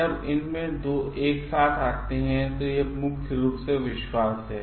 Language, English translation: Hindi, When two of them comes together, it is trust mainly